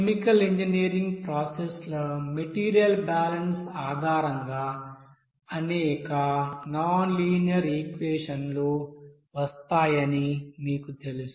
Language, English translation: Telugu, You know that there are you know several nonlinear equations will be coming based on that, you know material balance of chemical engineer processes